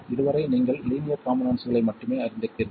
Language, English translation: Tamil, So far you would be familiar only with linear elements